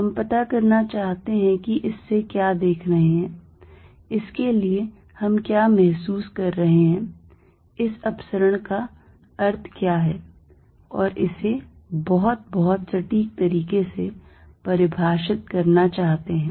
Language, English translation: Hindi, What we want to get a view of what a feeling for what this divergence means and define it and in a very, very precise manner